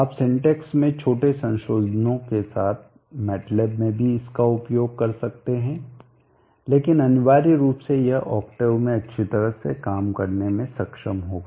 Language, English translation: Hindi, You can also probably use it in matlab with the minor modifications and syntax, but essentially it should be able to work well in octave